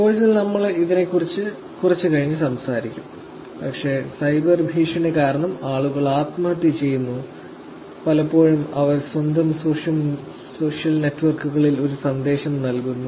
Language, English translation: Malayalam, We will talk about it little later in the course, but because of the cyber bullying people have actually killed themselves and many a times they actually leave a message on their own social networks